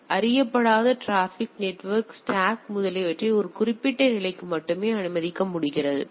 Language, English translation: Tamil, So, unknown traffic is only allowed to a level particular level in the network stack etcetera